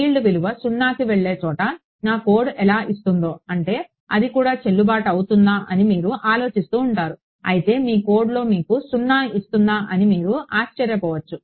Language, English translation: Telugu, Where the field value goes to 0, then you will keep thinking that how is whether my code is giving I mean that is also valid, but you might wonder if there is something entirely wrong with your code that is giving you 0 right